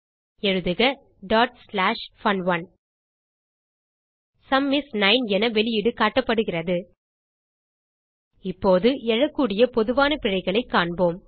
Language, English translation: Tamil, Type ./fun1 The output is displayed as: Sum is 9 Now we will see the common errors which we can come across